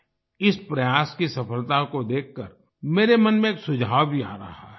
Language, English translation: Hindi, Looking at the success of this effort, a suggestion is also coming to my mind